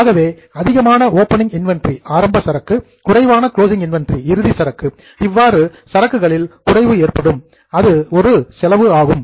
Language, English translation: Tamil, If there is a reduction in the inventory, so more opening inventory, less closing inventory, there will be a decrease in inventory which is an expense